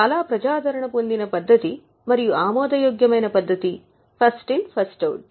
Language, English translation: Telugu, One of the very popular methods and acceptable method is first in first out